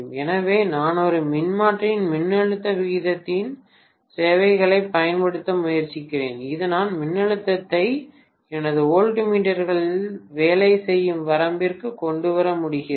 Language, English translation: Tamil, So I am essentially trying to use the services of the voltage ratio of a transformer, so that I am able to bring the voltage down to the range where my voltmeters would work